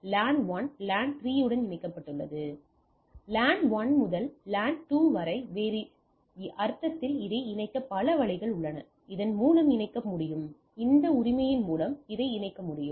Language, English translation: Tamil, In other sense from LAN 1 to LAN 2 there are several ways I can connect this through this I can connect this through this I can connect this through this right